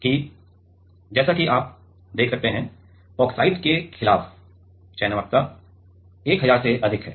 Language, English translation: Hindi, And as you can see here that the selectivity to against oxide is more than 1000